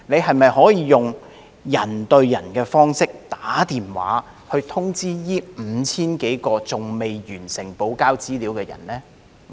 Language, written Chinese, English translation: Cantonese, 可否採用"人對人"的方式致電通知這5000多名尚未完成補交資料的人呢？, Can these 5 000 - odd people who have not provided all the supplementary information be personally notified by phone?